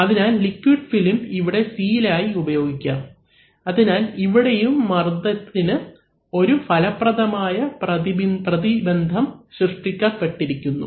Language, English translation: Malayalam, So, this liquid film here is going to act as a seal, so that this pressure and this pressure do not, there is an, there is an effective barrier created